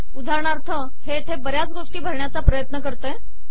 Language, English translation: Marathi, For example, it tries to fill lots of things here